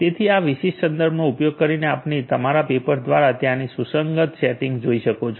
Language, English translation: Gujarati, So, using this particular reference you can go through our paper the corresponding settings that are there